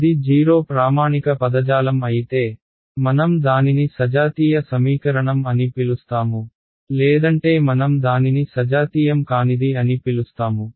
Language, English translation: Telugu, If it is zero standard terminology we will call it a homogeneous equation and else I call it a non homogeneous